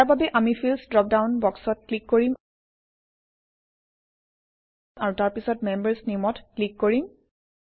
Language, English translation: Assamese, For this, we will click on the Fields drop down box and then click on Members.Name